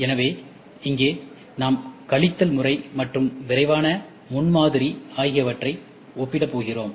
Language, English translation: Tamil, So, here we are going to just compare subtractive versus rapid prototyping